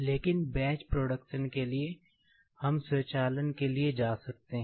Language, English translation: Hindi, But, for batch production, we can go for automation